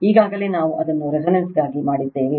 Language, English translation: Kannada, Already we have done it for resonance